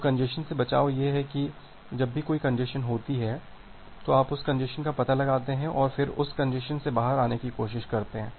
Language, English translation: Hindi, So, the congestion avoidance is that whenever there is a congestion, you detect that congestion and then try to come out of that congestion